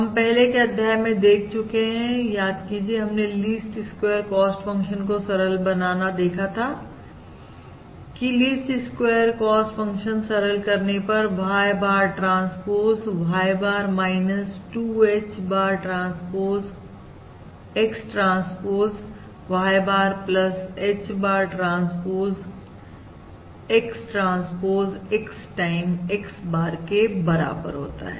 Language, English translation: Hindi, And we have already seen, basically the least squares cost function can be simplified as, remember, in the previous module we have already seen that the least squares cost function can simplified as: Y bar transpose Y bar, minus 2H bar transpose X, transpose Y bar plus H bar transpose X, transpose X times H bar